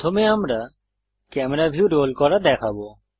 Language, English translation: Bengali, The first action we shall see is to roll the camera view